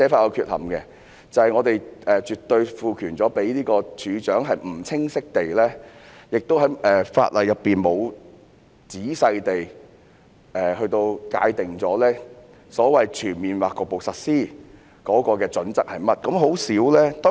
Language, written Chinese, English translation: Cantonese, 我們賦予處長絕對權力可不清晰地......法例亦沒有詳細地界定所謂"全面或局部實施"的準則，而很少......, The Director is to be given absolute power but the wording is unclear and the amendment clause has likewise failed to set out any detailed criteria for defining giving effect